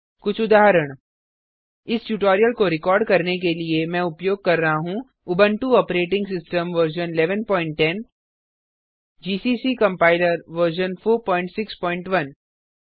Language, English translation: Hindi, To record this tutorial, I am using, Ubuntu Operating System version 11.10, gcc Compiler version 4.6.1